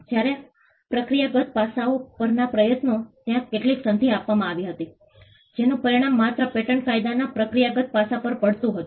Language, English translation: Gujarati, Whereas, the efforts on procedural aspects, there were certain treaties concluded and which only had an effect on the procedural aspect of patent law